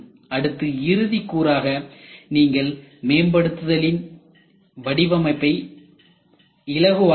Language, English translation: Tamil, Then the last point you will have facilitate design improvement